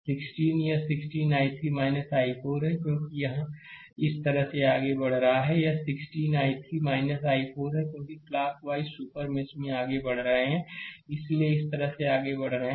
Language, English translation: Hindi, So, 16 is here 16 i 3 minus i 4 because it is we have moving like this, this 16 i 3 minus I 4 because we are moving clock wise we are moving in the super mesh right we are moving like this like this right